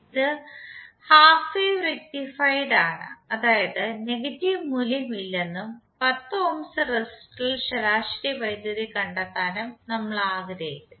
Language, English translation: Malayalam, It is half wave rectified means the negative value is not there and we want to find the average power dissipated in 10 ohms resistor